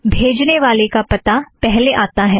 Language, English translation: Hindi, The to address comes first